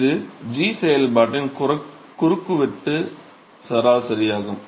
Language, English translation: Tamil, So, that is the cross sectional average of the function g